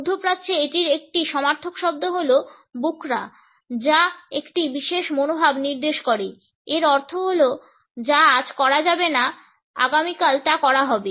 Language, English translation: Bengali, In the Middle East a synonymous world is Bukra which indicates a particular attitude, it means that what cannot be done today would be done tomorrow